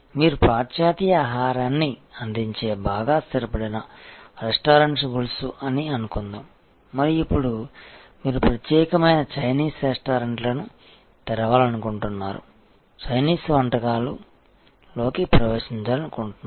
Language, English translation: Telugu, Suppose you are a very well established restaurant chain offering western food and now, you want to get in to Chinese you want to open specialized Chinese restaurants